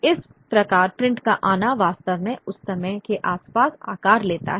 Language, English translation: Hindi, So, that's how the coming of print really takes shape at that point of time